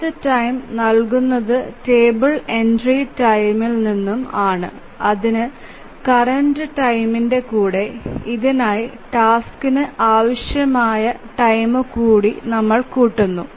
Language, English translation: Malayalam, So, the next time is given by the table entry time that get time when the current time plus the time that is required by the task